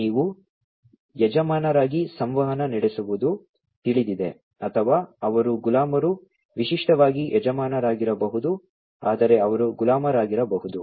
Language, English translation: Kannada, You know communicating as either masters or they can be slave typically masters, but they could be slave as well